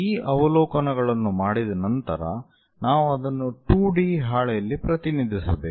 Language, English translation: Kannada, Once these observations are done we have to represent that on the 2 D sheet